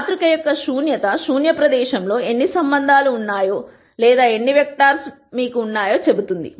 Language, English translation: Telugu, The Nullity of the matrix tells you how many relationships are there or how many vectors are there in the null space